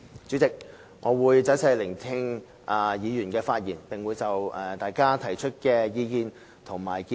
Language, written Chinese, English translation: Cantonese, 主席，我會仔細聆聽議員的發言，並會就大家提出的意見及建議作出綜合回應。, President I will listen carefully to Members remarks and give a consolidated response in respect of their views and recommendations